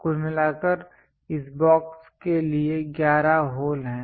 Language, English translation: Hindi, In total 11 holes are there for this box